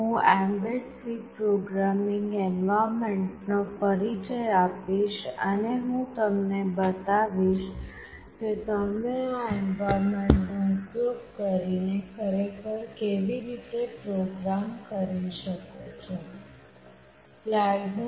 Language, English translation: Gujarati, I will introduce the mbed C programming environment and I will show you that how you can actually program using this environment